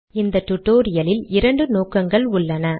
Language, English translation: Tamil, We have two objectives in this tutorial